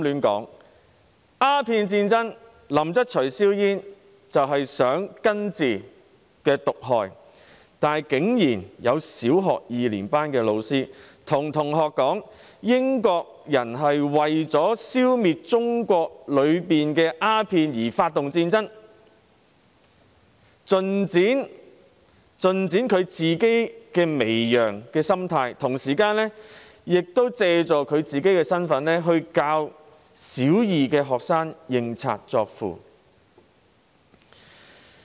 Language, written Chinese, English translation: Cantonese, 在鴉片戰爭中，林則徐銷煙是為了根治毒害，但竟然有小學二年級的老師告訴同學，英國人當時是為了消滅中國國內的鴉片而發起戰爭，盡展其媚洋心態，同時亦藉他的教師身份，教導小學二年級的學生認賊作父。, During the Opium War LIN Zexu ordered the destruction of opium to solve the root of the problem . However a Primary Two teacher surprisingly told his students that the British launched the war to eliminate opium in China . This teacher fully displayed his subservient mentality and he also in his capacity as a teacher taught Primary Two students to regard the enemy as kith and kin